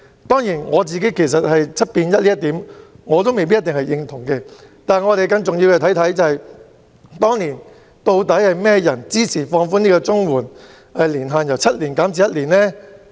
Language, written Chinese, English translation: Cantonese, 當然，我對 "7 變 1" 這一點未必認同，但更重要的是，當年是誰支持放寬綜援定居年限由7年變成為1年？, I may not agree to lowering the minimum residence requirement from seven years to one year but it is important to ask Who supported relaxing residence requirement from seven years to one year back then?